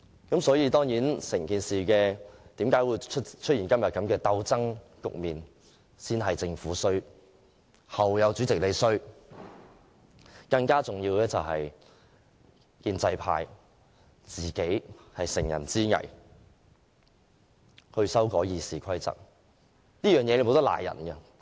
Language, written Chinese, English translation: Cantonese, 整件事之所以出現今天的鬥爭局面，先是政府的錯，後有主席的錯，更重要的是建制派乘人之危修改《議事規則》，這個責任無法推卸。, The confrontational situation today was the fault of the Government then the fault of the President . But more importantly it was the fault of the pro - establishment camp who exploited our precarious position to amend RoP . They are bound to be accountable for this